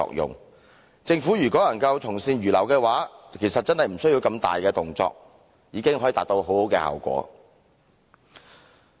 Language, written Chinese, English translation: Cantonese, 如果政府能從善如流，其實真的無須如此大動作，已可達很好的效果。, If the Government is willing to accept good advice it really does not need to make big moves to achieve good results